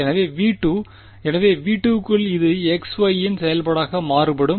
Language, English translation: Tamil, So, within V 2 this is varying as a function of x y